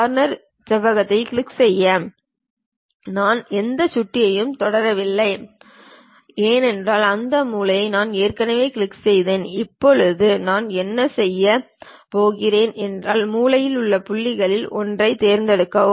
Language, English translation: Tamil, Click Corner Rectangle; I did not touched any mouse because I already clicked that corner moved out of that now what we are going to do is, pick one of the corner points